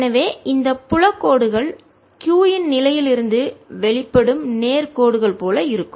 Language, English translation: Tamil, so the field lines are going to look like straight lines emanating from the position of q